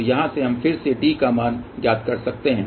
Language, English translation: Hindi, So, again from here we can find the value of D